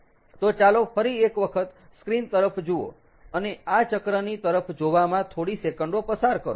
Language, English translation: Gujarati, so lets look at the screen once more and spend a few seconds looking at this ah at at the cycle